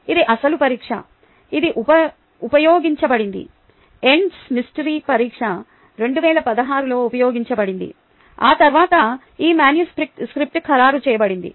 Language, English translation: Telugu, this was the actual examination that was used, the end semester examination that was used in twenty sixteen ok when, after which this ah manuscript was finalized